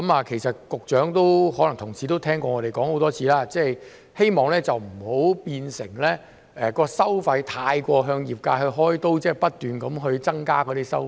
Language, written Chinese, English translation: Cantonese, 其實，局長和同事可能已聽過我們說了很多次，希望收費不要變成太過向業界"開刀"，即不斷增加收費。, In fact the Secretary and my colleagues may have heard us saying many times that we hope that the fees will not give rise to a situation where the industry is fleeced that is the fees will keep increasing